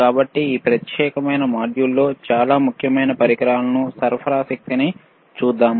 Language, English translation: Telugu, So, in this particular module let us see the extremely important equipment, power supply